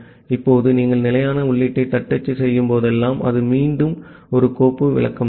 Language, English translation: Tamil, Now whenever you are typing something that standard input it is again a file descriptor